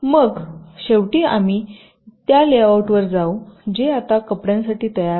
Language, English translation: Marathi, then, finally, we go down to the lay out, which is now quite ready for fabrication